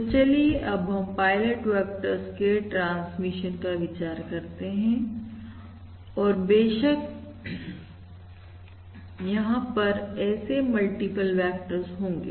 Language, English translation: Hindi, So let us consider the transmission of pilot vectors, and in fact there will be multiple such vectors